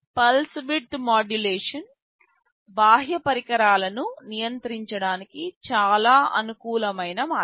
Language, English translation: Telugu, Pulse width modulation is a very convenient way of controlling external devices